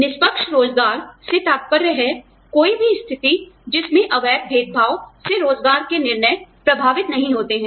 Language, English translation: Hindi, Fair employment refers to, any situation in which, employment decisions are not affected, by illegal discrimination